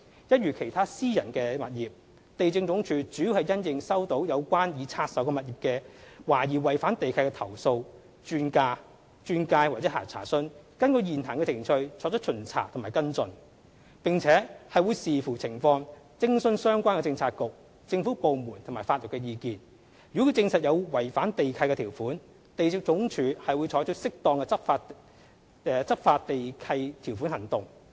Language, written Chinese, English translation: Cantonese, 一如其他私人物業，地政總署主要是因應收到有關已拆售物業懷疑違反地契的投訴、轉介或查詢，根據現行程序作出巡查和跟進，並且會視乎情況徵詢相關政策局/政府部門及法律意見，如證實有違反地契條款，地政總署會採取適當的執行地契條款行動。, As with other private properties LandsD mainly acts on complaints referrals or enquiries about suspected breaches of the lease conditions of the divested properties by conducting inspections and taking follow - up actions in accordance with the existing procedures . Depending on the circumstances LandsD will also consult the relevant Policy Bureauxgovernment departments and seek legal advice . If breaches of the lease conditions are confirmed LandsD will take appropriate lease enforcement actions